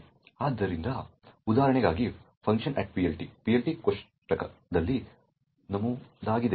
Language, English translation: Kannada, So, for an example func at PLT has an entry in the PLT table which is this